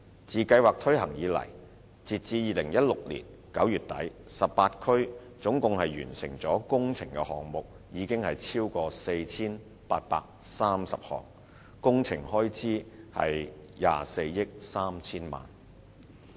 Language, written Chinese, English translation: Cantonese, 自計劃推行以來，截至2016年9月底 ，18 區總共完成的工程項目超過 4,830 項，工程開支約達24億 3,000 萬元。, Since the launch of the scheme to the end of September 2016 4 830 works projects in total have been completed in the 18 districts with the works cost amounting to 2.43 billion approximately